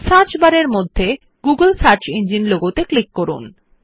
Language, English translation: Bengali, Click on the googles search engine logo within the Search bar